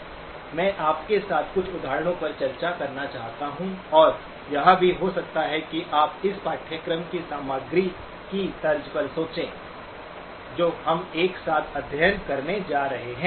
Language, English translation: Hindi, I would like to discuss with you a few examples and also may be, get you thinking along the lines of the content of the course that we are going to be studying together